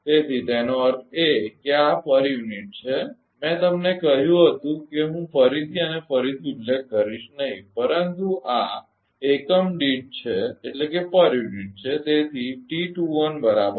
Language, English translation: Gujarati, So, that means, this is in per unit I will I told you that I will not mention again and again, but this is in per unit delta